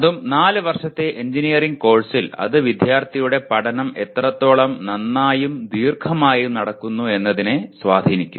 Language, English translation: Malayalam, That too in a 4 year engineering course it will significantly influence how well and how long the student study